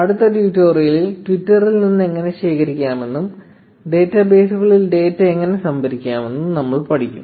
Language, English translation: Malayalam, In the next tutorial, we will learn how to collect from Twitter and see how to store data in databases